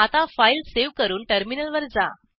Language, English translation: Marathi, Save the file and go to the terminal